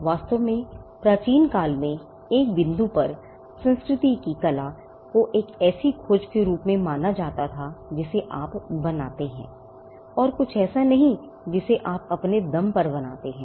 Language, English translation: Hindi, In fact, at 1 point in the ancient culture’s art was at regarded as a discovery that you make and not something which you create on your own